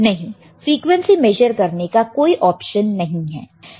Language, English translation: Hindi, No, there is no option of measuring the frequency